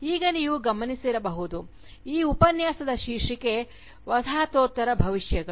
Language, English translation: Kannada, Now, as you might have noticed, the title of this Lecture is, Postcolonial Futures